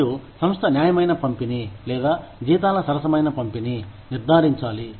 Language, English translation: Telugu, And, the organization should ensure, a fair distribution, or fair disbursement of salaries